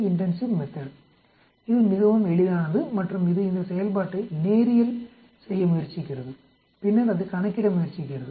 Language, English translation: Tamil, It is quite simple and it tries to linearize this function and then it tries to calculate